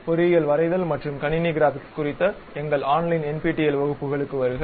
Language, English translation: Tamil, Welcome to our online NPTEL classes on Engineering Drawing and Computer Graphics